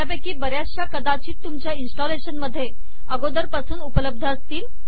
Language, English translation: Marathi, Many of them may already be available on your installation